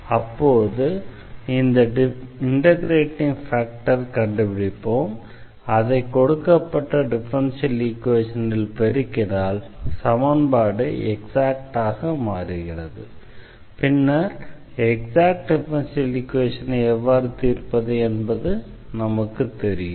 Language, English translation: Tamil, So, what we will do now, we will find the integrating factor and once we multiply this integrating factor to the given differential equation then this equation will become exact and then we know how to solve the exact differential equation